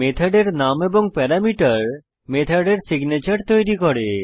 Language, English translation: Bengali, The method name and the parameters forms the signature of the method